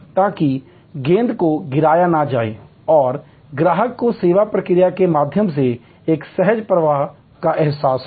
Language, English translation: Hindi, So, that the ball is not dropped and the customer gets a feeling of a smooth flow through the service process